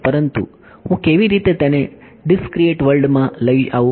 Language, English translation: Gujarati, But how do I bring in the discrete world